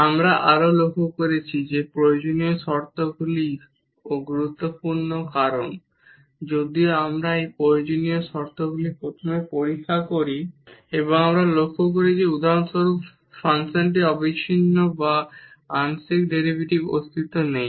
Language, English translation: Bengali, We have also observed that the necessary conditions are also important because if we check these necessary conditions first and we observe that for example, the function is not continuous or the partial derivatives do not exist